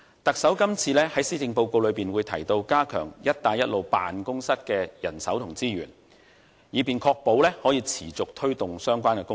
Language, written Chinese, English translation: Cantonese, 特首這次在施政報告中提到會加強"一帶一路"辦公室的人手和資源，以確保持續推動相關工作。, The Chief Executive mentions in the Policy Address this year that the Government will beef up the establishment and resources of the Belt and Road Office to ensure that it can take forward the relevant work on a long - term basis